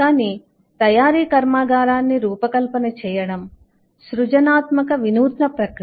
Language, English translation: Telugu, but designing the manufacturing is a creative, innovative process